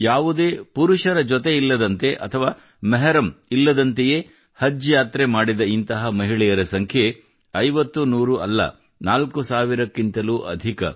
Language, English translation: Kannada, These are the women, who have performed Hajj without any male companion or mehram, and the number is not fifty or hundred, but more than four thousand this is a huge transformation